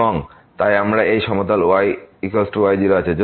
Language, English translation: Bengali, So, here we have this plane is equal to